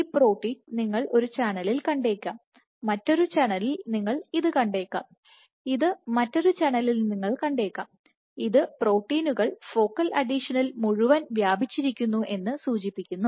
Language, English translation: Malayalam, So, I am just drawing several proteins all of these in one channel you might see this, in another channel you might see this, in another channel you might see this, suggesting that they span the entire focal adhesion